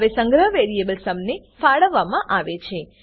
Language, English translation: Gujarati, Now the storage is allocated to variable sum